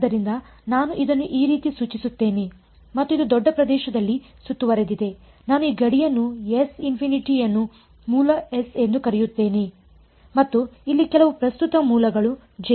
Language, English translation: Kannada, So, I will indicate it like this and this was surrounded in a bigger region I call this boundary S infinity the source S and there was some current source over here J